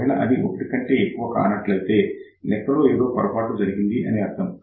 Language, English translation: Telugu, If it is not greater than 1 that means, you have done calculation mistake ok